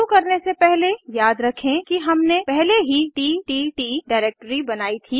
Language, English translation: Hindi, Before we begin, recall that we had created a ttt directory earlier